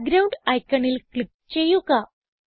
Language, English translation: Malayalam, Click on Background icon